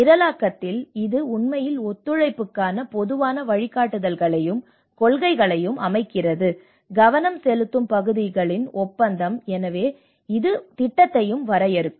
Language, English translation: Tamil, Because in the programming it actually sets up the general guidelines and principles for cooperation, agreement of focus areas so it will also define the project lay